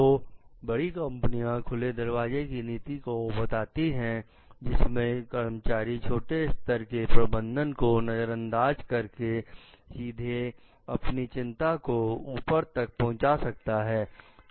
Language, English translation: Hindi, So, large company may suggest for an open door policy in which employees may bypass lower layer management to take concern to the top